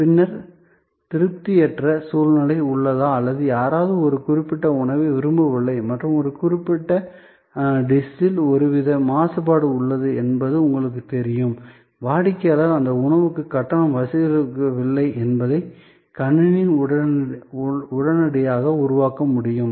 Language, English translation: Tamil, And then of course, you know, if there is an unsatisfactory situation or somebody did not like a particular dish and there was some kind of contamination in a particular dish, the system should be able to immediately create that the customer is not charged for that dish